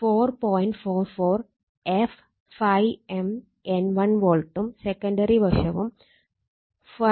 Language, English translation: Malayalam, 44 f ∅ m N1 volt and the secondary side also 4